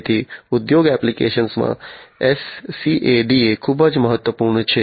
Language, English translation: Gujarati, So, SCADA is very important in industry applications